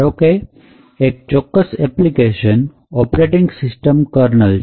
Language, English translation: Gujarati, Example, is the application happens to be the operating system kernel